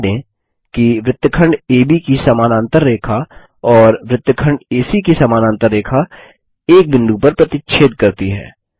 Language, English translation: Hindi, Notice that the parallel line to segment AB and parallel line to segment AC intersect at a point